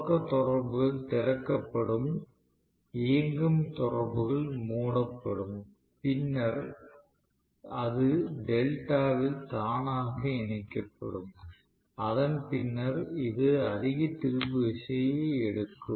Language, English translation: Tamil, So starting contactors will be opened out, running contactors will be closed and then it will become connected automatically in delta and then you know it will pick up a higher torque after that right